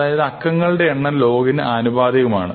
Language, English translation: Malayalam, And the number of digits is actually the same as the log